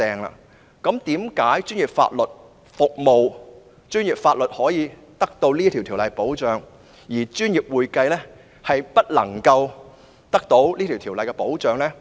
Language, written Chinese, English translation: Cantonese, 為何專業法律獲《法律執業者條例》保障，但專業會計卻未獲《專業會計師條例》保障？, Why is professional legal services protected under the Legal Practitioners Ordinance but professional accounting is not protected under the Ordinance?